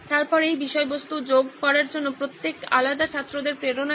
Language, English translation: Bengali, Then what about motivation from individual students towards adding this content